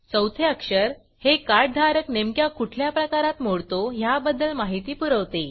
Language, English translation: Marathi, The fourth character informs about the type of the holder of the Card